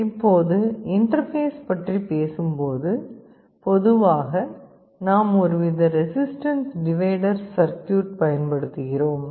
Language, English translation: Tamil, Now, talking about interfacing very typically we use some kind of a resistance divider circuit